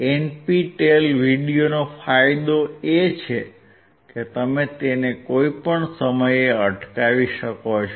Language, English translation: Gujarati, The advantage of NPTEL videos is that you can stop at any time